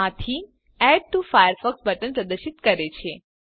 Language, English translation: Gujarati, This theme displays Add to Firefox button